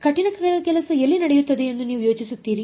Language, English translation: Kannada, Where do you think a hard work happens